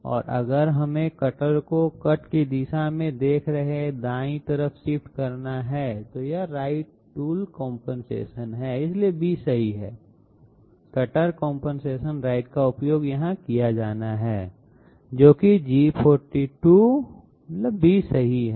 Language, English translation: Hindi, And if we have to shift the cutter to the right hand side looking in the direction of cut then it is right tool compensation, so B is correct, cutter compensation right has to be used here which is G42, B is correct